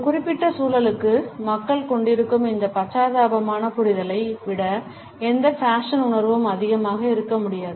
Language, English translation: Tamil, No fashion sense can be greater than this empathetic understanding which people have for a particular context